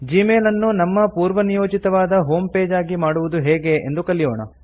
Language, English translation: Kannada, Let us learn how to set Gmail as our default home page